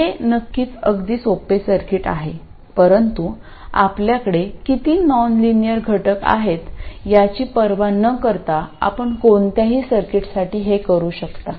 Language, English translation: Marathi, This is of course a very simple circuit but regardless of the number of nonlinear elements you have, you can do this for any circuit